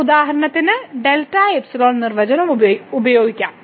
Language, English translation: Malayalam, So, let us just go through the standard definition of epsilon delta